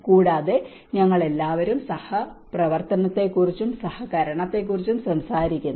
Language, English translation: Malayalam, Also, we all talk about the collaboration and cooperation